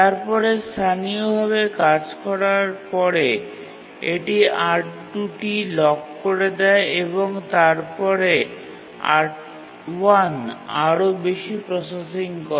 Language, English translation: Bengali, But then after some local processing it locks R1 and then does more processing using R1 and then needs the resource R2